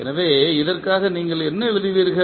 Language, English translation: Tamil, So, what you will write for this